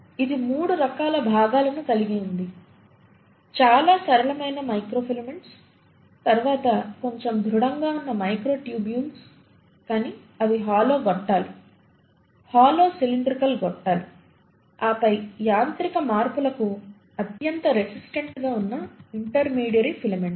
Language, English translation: Telugu, It has 3 different kinds of components; the microfilaments which are the most flexible ones, followed by the microtubules which are slightly more rigid but they are hollow tubes, hollow cylindrical tubes, and then the most resistant to mechanical changes are the intermediary filaments